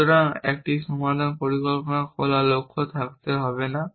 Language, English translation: Bengali, So, a solution plan must not have open goals